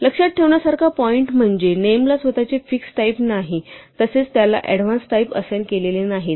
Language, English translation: Marathi, The point to keep in mind is that the name is themselves do not have fixed types they are not assigned types in advance